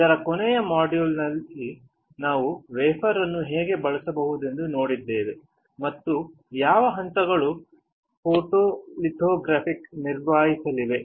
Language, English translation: Kannada, In the last module we have seen how we can use a wafer; and what are the steps to perform photolithography